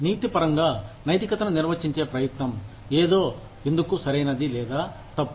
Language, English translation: Telugu, Ethics is an attempt to, define morality, in terms of, why something is right or wrong